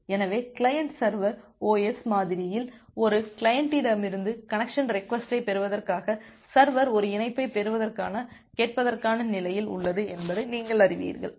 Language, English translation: Tamil, So, the client as you know that in a client server OSI model, the server remains in the listen state for getting a connection, getting a connection request from a client